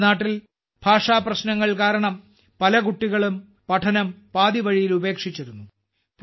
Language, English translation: Malayalam, In our country, many children used to leave studies midway due to language difficulties